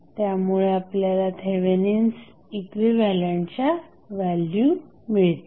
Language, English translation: Marathi, So, what we have to do we have to first find the Thevenin equivalent